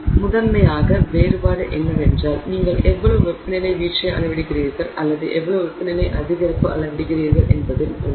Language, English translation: Tamil, So, the difference primarily lies in exactly how much of a temperature drop you measure or how much of a temperature increase you measure